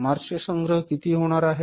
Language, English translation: Marathi, March collections are going to be how much